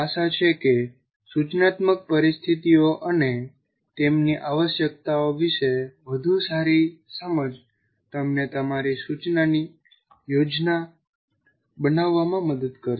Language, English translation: Gujarati, So, hopefully a better understanding of instructional situations and their requirements will help you to plan your instruction